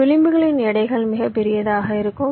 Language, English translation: Tamil, and this weights of these edges you would take as very large